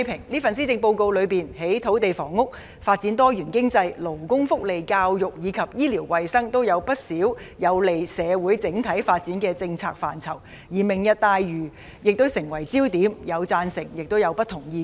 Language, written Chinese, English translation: Cantonese, 這份施政報告在土地房屋、發展多元經濟、勞工福利、教育和醫療衞生各方面提出了不少有利於社會整體發展的政策，而"明日大嶼"亦成為焦點，既有人贊成，亦有人持不同意見。, The Policy Address has put forward a number of policies which are beneficial to the overall development of the community in areas of land and housing the development of a diversified economy labour welfare education and health care . The Lantau Tomorrow Vision has also become the focus of attention . While some people support it other people have expressed divergent views